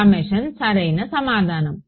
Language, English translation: Telugu, Summation exactly right